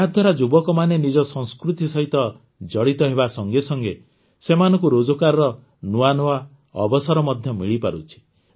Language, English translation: Odia, With this, these youth not only get connected with their culture, but also create new employment opportunities for them